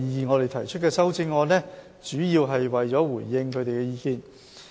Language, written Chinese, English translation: Cantonese, 我們提出的修正案，主要是為了回應他們的意見。, The amendments proposed by us mainly serve to respond to their opinions